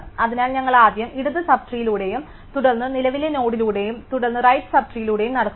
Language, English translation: Malayalam, So, that we first walk through the left sub tree, then the current node and then the right sub tree